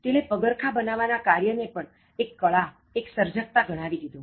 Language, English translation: Gujarati, He had made shoe making an art, a creativity